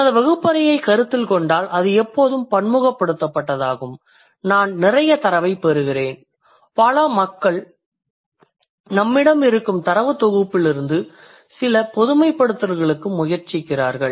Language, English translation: Tamil, So considering my classroom is always diversified I do throw like I do get a lot of data and then people try to draw some generalization from the given data set that we have in hand